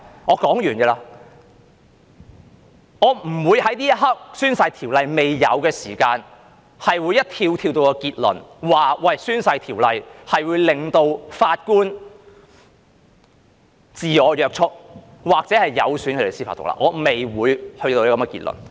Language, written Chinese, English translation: Cantonese, 我不會在這一刻《條例》未出現這情況時便立即跳到結論，指《條例》會令法官自我約束或有損司法獨立，我不會跳到這個結論。, At this juncture when this has not yet happened to the Ordinance I will not jump to a conclusion right away that the Ordinance will cause the judges to become self - binding or jeopardize judicial independence . I will not jump to this conclusion